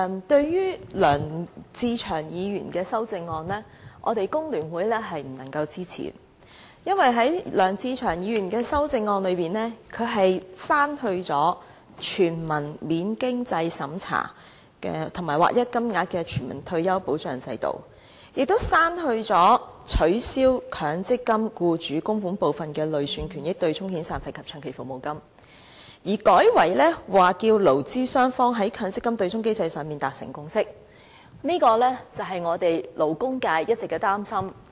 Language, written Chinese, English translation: Cantonese, 對於梁志祥議員的修正案，工聯會是不能夠支持的，因為在梁志祥議員的修正案中，他刪去了"全民免經濟審查及劃一金額的全民退休保障制度"，亦刪去了"取消以強積金僱主供款部分的累算權益對沖遣散費及長期服務金"，改為"促使勞資雙方在強積金對沖機制的問題上達成共識"，這便是勞工界一直的擔心。, The Hong Kong Federation of Trade Unions FTU cannot support Mr LEUNG Che - cheungs amendment because Mr LEUNG Che - cheung proposes to delete implement the establishment of a non - means - tested universal retirement protection system with uniform payment and abolishing the arrangement of using the accrued benefits derived from employers MPF contributions to offset severance payments and long service payments and also because he proposes to substitute them with facilitating employees and employers to reach a consensus on the issue of the MPF offsetting mechanism . That is something the labour sector has been worrying all along